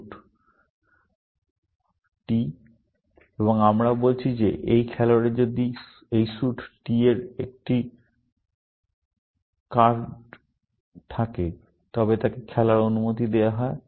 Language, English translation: Bengali, So, all we are saying now is that if this player has a card of this suit t, then he is allowed to play